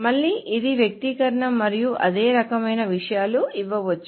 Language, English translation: Telugu, So again it's an expression and same kind of things can be given